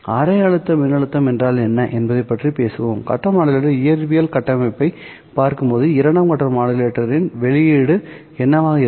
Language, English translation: Tamil, We will talk about what half wave voltage means when we look at the physical structure of the phase modulator